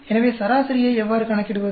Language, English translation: Tamil, So, how do you calculate mean